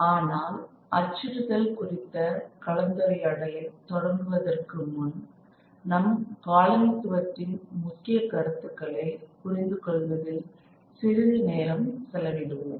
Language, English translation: Tamil, But in order to actually begin the discussion on printing, we first will spend a little bit of time on understanding certain key concepts of colonialism which inform our lecture today